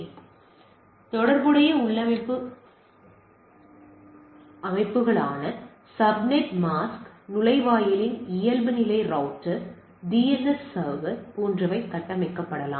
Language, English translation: Tamil, So also, the related configuration settings like subnet mask, default router of the gateway, DNS server etcetera these are also can be configured